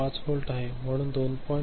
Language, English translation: Marathi, 5 volt, so 2